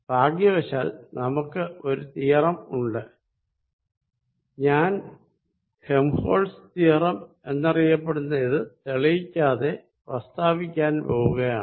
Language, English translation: Malayalam, But, we are fortunate there is a theorem and I am going to say without proving it the theorem called Helmholtz's theorem